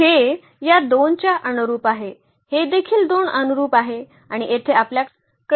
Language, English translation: Marathi, So, this is corresponding to this 2 this is also corresponding to 2 and here we have this corresponding to this 8